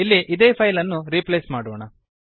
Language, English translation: Kannada, Here let us replace the file